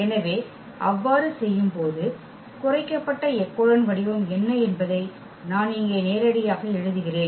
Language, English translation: Tamil, So, that doing so, I am writing directly here what will be the reduced echelon form